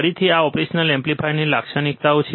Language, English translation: Gujarati, Again, these are the characteristics of an operational amplifier